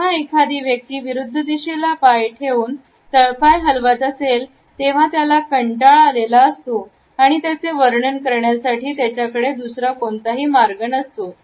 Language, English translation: Marathi, When a person has their legs crossed and foot shaking they are bored; bored there is no other way to describe it